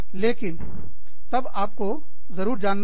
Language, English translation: Hindi, But then, you must be knowing